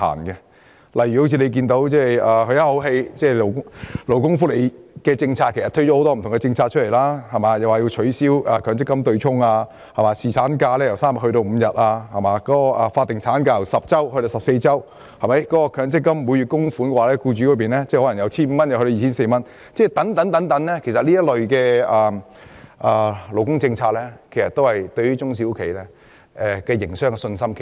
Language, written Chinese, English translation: Cantonese, 舉例來說，政府推出的多項勞工福利政策，包括取消強制性公積金對沖、侍產假由3天增至5天、法定產假由10周增至14周、強積金僱主供款由每月 1,500 元增至 2,400 元等，都減低了中小企的營商信心。, For example the Government has put forward a number of labour welfare policies such as abolishing the offsetting arrangement under the Mandatory Provident Fund MPF System extending paternity leave from three days to five days increasing maternity leave from 10 weeks to 14 weeks and raising employers MPF contributions from 1,500 to 2,400 per month . All these policies have weakened the business confidence of SMEs